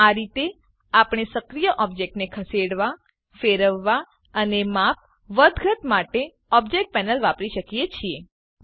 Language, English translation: Gujarati, So this is how we can use the Object panel to move, rotate and scale the active object